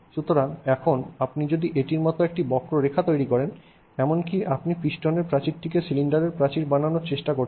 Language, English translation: Bengali, So, now even if you make a curve like this, even if you are trying to make the wall of a piston, a wall of a cylinder, then then wall would consist of a series of spheres like that